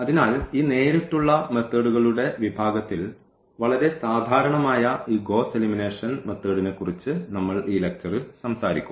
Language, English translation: Malayalam, So, we will be talking about in this lecture about this Gauss elimination method, which is a very general one in the category of this direct methods